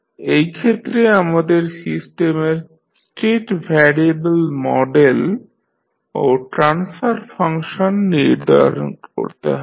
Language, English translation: Bengali, In this case we need to determine the state variable model and the transfer function of the system